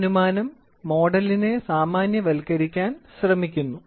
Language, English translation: Malayalam, So, this assumption tries to generalize the model